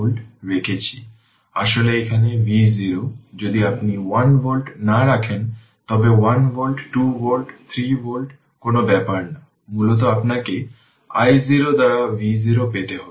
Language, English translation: Bengali, Actually here v 0 if you do not put 1 volt, ah does not matter 1 volt, 2 volt, 3 volt it does not matter, basically you have to obtain v 0 by i 0